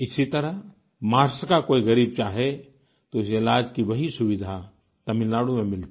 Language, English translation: Hindi, Similarly, if a deprived person from Maharashtra is in need of medical treatment then he would get the same treatment facility in Tamil Nadu